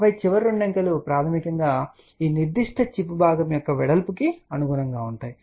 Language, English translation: Telugu, And then the last two digits basically correspond to the width of this particular chip component